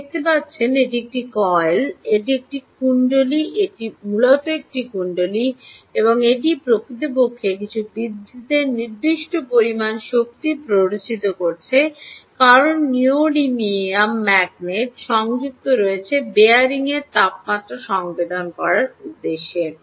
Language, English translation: Bengali, ok, this is a coil, this is essentially a coil, and it is actually inducing a certain electricity, certain amount of energy, because of these neodymium magnets which are attached for the purposes of sensing the temperature of the bearings